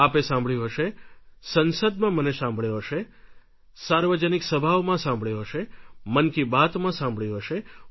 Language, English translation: Gujarati, You must have heard me speak in the parliament, in public forums or Mann Ki Baat about it